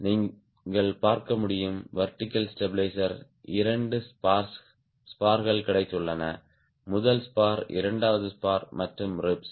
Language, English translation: Tamil, you can see the vertical stabilizer has got two spars, the first spar, the seconds spar and the ribs